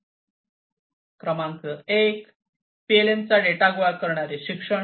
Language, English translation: Marathi, Number 1 data gathering education of PLM